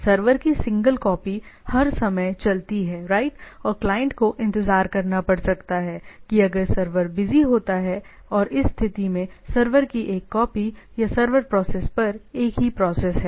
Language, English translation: Hindi, The single copy of the server runs all the time right and a client may have to wait if the server is busy right or in this case one server a one copy of the server or the server process is only one process